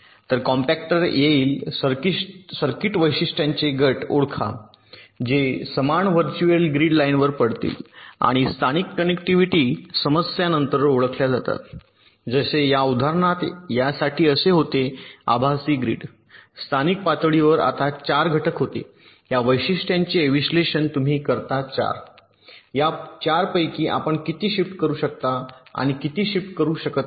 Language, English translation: Marathi, so the compactor will identify groups of circuit features that will be falling on the same virtual grid lines and local connectivity issues are then identified, like here in this example, there were for this virtual grid, there were four components